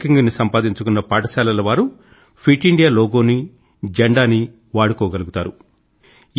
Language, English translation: Telugu, The schools that achieve this ranking will also be able to use the 'Fit India' logo and flag